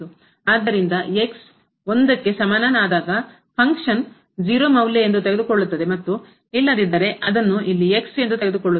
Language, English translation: Kannada, So, at is equal to 1 the function is taking value as 0 and otherwise its taking here as